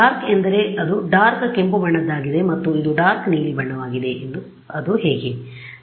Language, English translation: Kannada, The dark thing that actually that that is like the darkest red and this is the darkest blue that is how